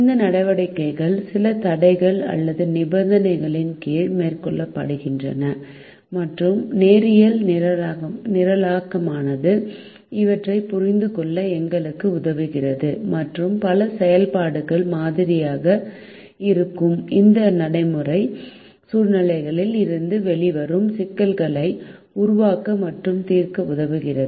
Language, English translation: Tamil, these activities are also carried out under some constraints or conditions, and linear programming helps us understand these and helps us to formulate and solve problems which come out of this practical situations where several activities are modeled